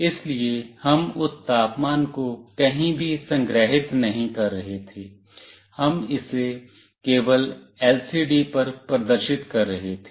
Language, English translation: Hindi, So, we were not storing that temperature anywhere, we were just displaying it on the LCD